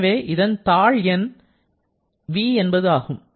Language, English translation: Tamil, So, subscript will be small v